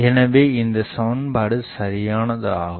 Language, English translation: Tamil, So, this expression is correct